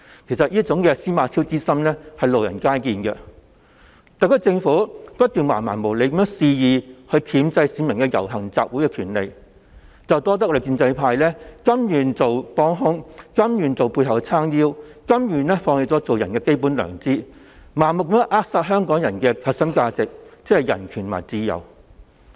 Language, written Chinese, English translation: Cantonese, 其實，"司馬昭之心，路人皆見"，特區政府不斷橫蠻無理地肆意箝制市民的遊行集會權利。這要多得立法會的建制派甘願成為幫兇，甘願在政府背後為其撐腰，甘願放棄作為人的基本良知，盲目地扼殺香港的核心價值，即人權和自由。, The SAR Government has kept curtailing the publics right to assembly and procession in a barbarous unreasonable and reckless manner thanks to the pro - establishment Members in the Legislative Council who willingly serve as the Governments accomplices willingly support it behind the scene willingly give up their fundamental conscience and unthinkingly erode Hong Kongs core values ie